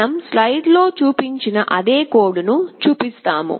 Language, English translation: Telugu, We show that same code that we have shown on the slide